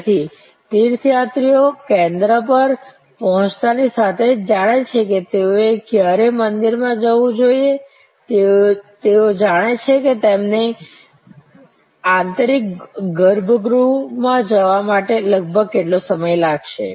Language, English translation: Gujarati, So, pilgrims know as soon as they arrive at the station that when they should go to the temple, they know how long it will approximately take them to go in to the inner sanctum